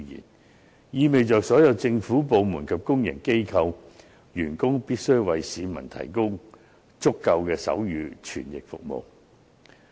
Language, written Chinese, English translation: Cantonese, 這意味着所有政府部門及公營機構員工，必須為市民提供足夠的手語傳譯服務。, This means that all government departments and public organizations are required to provide adequate sign language service for the public